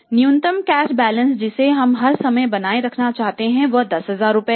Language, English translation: Hindi, Minimum cash balance we want to maintain all the times is 10,000